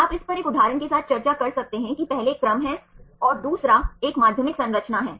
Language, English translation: Hindi, You can discuss this with one example here first one is the sequence and a second one is the secondary structure